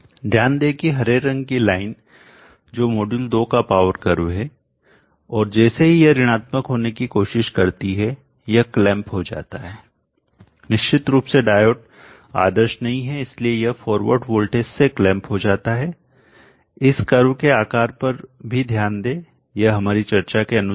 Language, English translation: Hindi, Absorb that the green line which is the power curve of module 2 and as it tries to negative it gets clamp of course the diode is not ideal so it gets clamped to the forward voltage, absorb also the shape of this curve it is last for our discussion